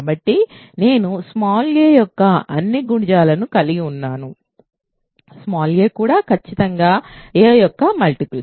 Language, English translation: Telugu, So, I consists of all multiples of small a, small a itself is certainly a multiple of a